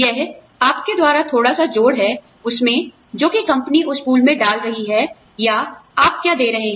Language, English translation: Hindi, It is your bit by bit addition, to what the company is either putting into that pool, or what you are giving, what the company is matching